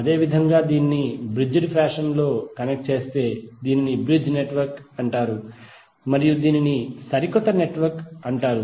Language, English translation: Telugu, Similarly, if it is connected in bridge fashion like this, it is called bridge network and this is called the latest network